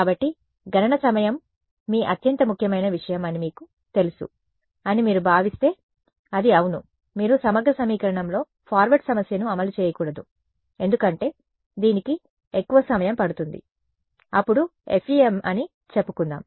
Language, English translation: Telugu, So, it is yeah if you think if you feel that you know computational time is your most important thing, then you should not run the forward problem in integral equation because, it takes much more time then let us say FEM